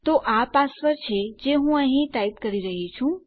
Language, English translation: Gujarati, So, this is the password I am typing in here